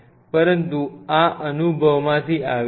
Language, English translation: Gujarati, But this is what comes from experience